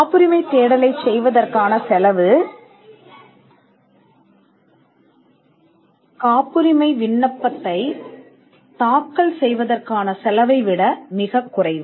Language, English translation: Tamil, The cost of generating a patentability search is much less than the cost of filing a patent application